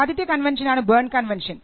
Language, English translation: Malayalam, First you have the BERNE convention